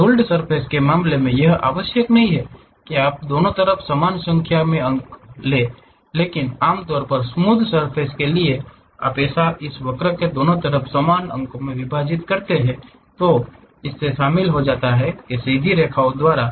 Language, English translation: Hindi, In the case of ruled surfaces, it is not necessary that you will have equal number of points on both the sides, but usually for lofter surfaces you divide it equal number of points on both sides of this curve as and joined by straight lines